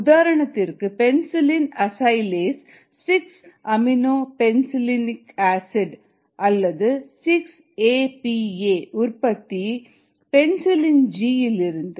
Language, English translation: Tamil, examples here: penicillin acylase for six amino penicillanic acid or six a p a production from penicillin g